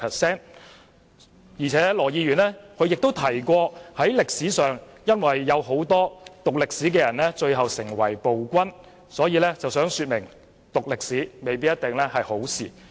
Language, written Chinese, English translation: Cantonese, 此外，羅議員提到歷史上有很多讀歷史的人最後都成為暴君，他以此論證讀歷史未必是好事。, Furthermore Mr LAW mentioned that many historical figures who studied history eventually became tyrants and he thus argued that history education may not necessarily be desirable